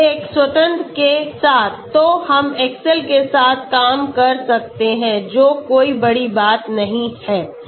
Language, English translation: Hindi, With one independent so we can work out with excel that is not a big deal